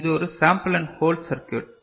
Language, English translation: Tamil, So, this is a sample and hold circuit